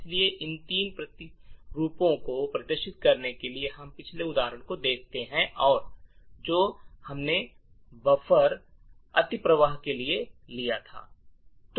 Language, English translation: Hindi, So, to demonstrate these three countermeasures we look at the previous example that we took of the buffer overflow